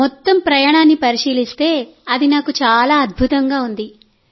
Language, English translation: Telugu, Yes, if we consider the whole journey, it has been wonderful for me